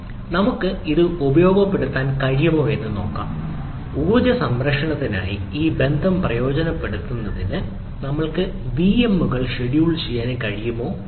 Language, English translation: Malayalam, so whether we can exploit this one, whether we can schedule vms to take advantage of this relationship in order to ah conserve power, right